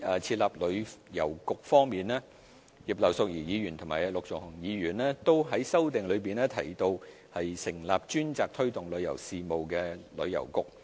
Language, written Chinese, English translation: Cantonese, 設立旅遊局葉劉淑儀議員和陸頌雄議員在修正案中提到成立專責推動旅遊事務的旅遊局。, Setting up a Tourism Bureau Mrs Regina IP and Mr LUK Chung - hung mentioned setting up a Tourism Bureau dedicated to promoting tourism in their amendments